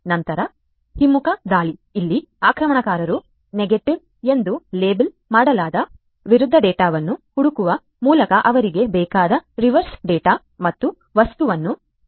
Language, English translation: Kannada, Then, reversal attack; here, the attacker searches the reverse data and object they need by searching for the opposite data that is labeled as negative